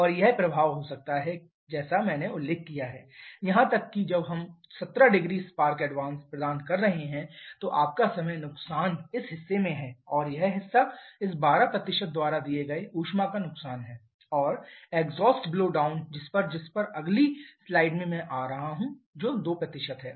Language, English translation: Hindi, And this can be the effect as I mentioned even when we are providing a 17 degree of spark advance then your time loss is this portion and this portion is the heat loss as given by this 12% and exhaust blowdown which I shall be coming in the next slide which is about 2%